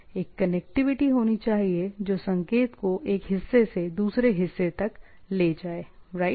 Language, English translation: Hindi, There should be a connectivity which carries the signal from one part to another, right